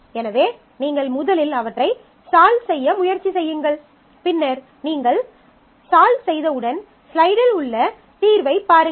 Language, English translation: Tamil, So, you first try solving them and once you have solved them then you look at the solution in the slide